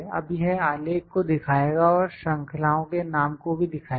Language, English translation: Hindi, Now it will show the legend and show the name of the series as well